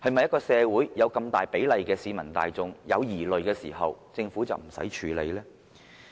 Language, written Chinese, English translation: Cantonese, 在社會上有這麼大比例的市民大眾有疑慮時，政府是否不用處理呢？, When such a large proportion of people in society are still sceptical should the Government refrain from dealing with this scepticism?